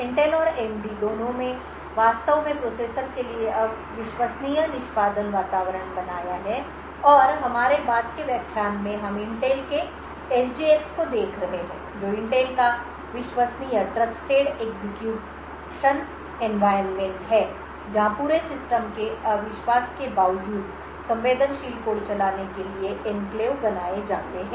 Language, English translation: Hindi, Both Intel and AMD have actually created Trusted Execution Environments in for the processors and in our later lecture we be looking at the Intel’s SGX which is Intel’s Trusted Execution Environment where Enclaves are created in order to run sensitive codes in spite of the entire system being untrusted